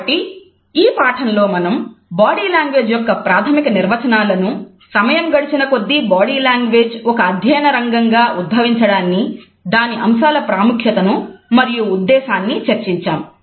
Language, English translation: Telugu, So, in this lecture we have discussed the basic definitions of body language, the emergence of body language as a field of a study over the passage of time, it is significance in the scope and different aspects of body language, which we would study